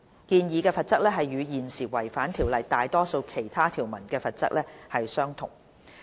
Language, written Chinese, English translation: Cantonese, 建議的罰則與現時違反《條例》大多數其他條文的罰則相同。, The proposed penalty is the same as the existing penalty for not complying with most other provisions under CMO